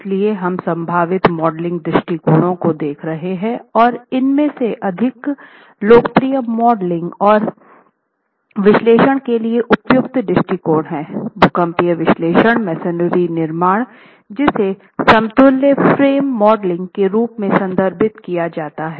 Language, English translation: Hindi, So, we were talking about possible modeling approaches and one of the more popular and appropriate approaches for modeling and analysis, particularly seismic analysis of masonry constructions is what is referred to as equivalent frame modeling where the masonry construction is considered as an equivalent frame